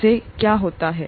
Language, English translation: Hindi, What happens to that